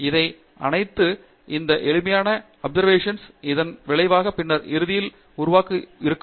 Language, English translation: Tamil, So, these are all these simple observations, results which then eventually will be helpful to build later on